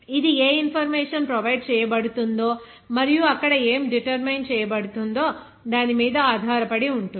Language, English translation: Telugu, It depends on what information is provided and what needs to be determined there